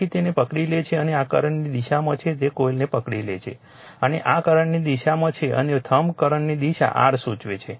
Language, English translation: Gujarati, So, you grabs it and this is in the direction of the current you grabs the coil and this in the direction of the current and thumb you will indicate your direction of the flux